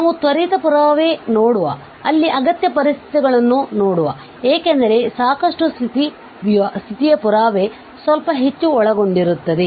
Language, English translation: Kannada, Just we will go through a quick proof, where we will just see the necessary conditions, because the proof for the sufficient condition is a little more involved